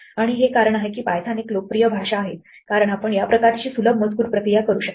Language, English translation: Marathi, And this is one of the reasons that Python is a popular language because you can do this kind of easy text processing